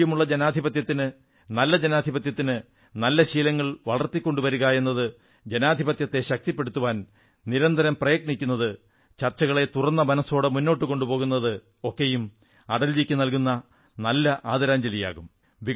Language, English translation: Malayalam, I must say that developing healthy traditions for a sound democracy, making constant efforts to strengthen democracy, encouraging openminded debates would also be aappropriate tribute to Atalji